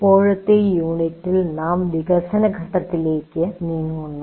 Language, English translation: Malayalam, So the present unit, we move on to the next phase, namely the development phase